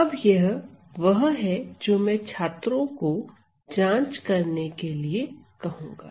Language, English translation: Hindi, Now, this is something that I would ask the students to check ok